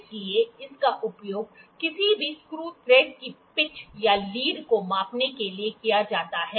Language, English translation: Hindi, So, it is used to measure the pitch or lead of any screw thread